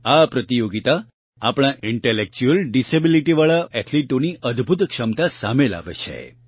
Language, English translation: Gujarati, This competition is a wonderful opportunity for our athletes with intellectual disabilities, to display their capabilities